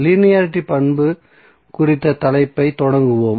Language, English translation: Tamil, So let us start the topic on linearity property